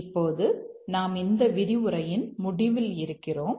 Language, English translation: Tamil, Now we are almost at the end of the lecture